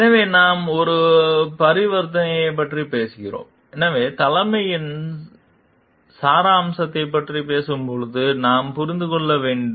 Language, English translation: Tamil, So, we are talking of a transaction so, when we talking of essence of leadership, we have to understand